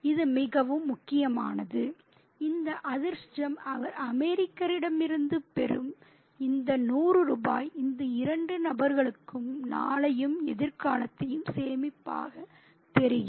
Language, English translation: Tamil, And this fortune, this hundred rupees that he gets from the American seems to save the day and the future for these two people